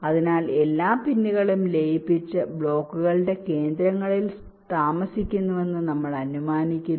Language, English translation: Malayalam, so we assume that all the pins are merged and residing at the centers of the blocks